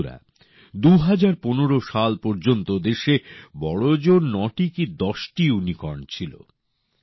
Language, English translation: Bengali, till the year 2015, there used to be hardly nine or ten Unicorns in the country